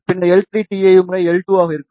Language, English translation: Tamil, Then L 3 will be tau times L 2